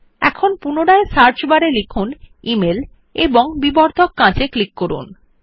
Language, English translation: Bengali, Now lets type email again in the Search bar and click the magnifying glass